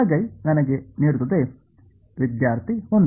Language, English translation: Kannada, Right hand side will give me 1